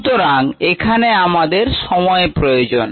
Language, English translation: Bengali, so we need time here